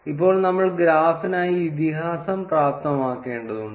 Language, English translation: Malayalam, Now we would need to enable the legend for the graph